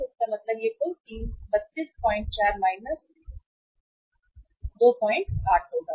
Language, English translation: Hindi, So it means this will be total 32